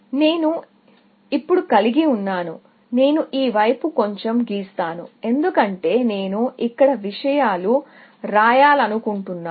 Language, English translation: Telugu, So, I have now, I will just draw it a little bit this side, because I want to write things here